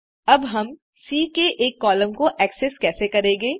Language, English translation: Hindi, How do we access the last row of C